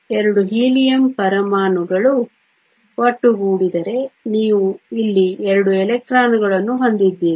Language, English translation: Kannada, If 2 Helium atoms come together, you have 2 electrons here, you have 2 electrons here